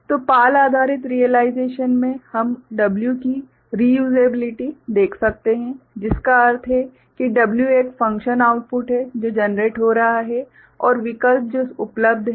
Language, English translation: Hindi, So, in PAL based realization we can see the reusability of the W that is W means a function output that is getting generated and options that are available